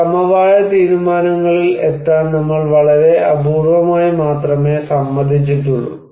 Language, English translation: Malayalam, We have very rarely agreed to reach any consensus decisions